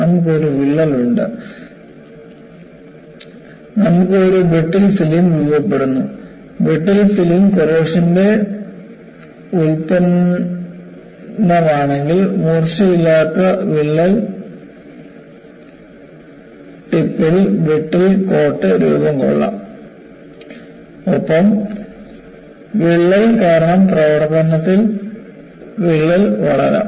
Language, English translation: Malayalam, Once, you have a crack, you can have a brittle film formed; if the brittle film is a by product of corrosion, then a brittle coat may form at the blunted crack tip, and the crack may grow in service, due to corrosion